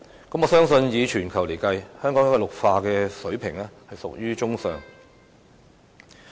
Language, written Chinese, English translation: Cantonese, 我相信以全球計算，香港的綠化水平已屬於中上。, I believe that globally the greening level in Hong Kong is already above average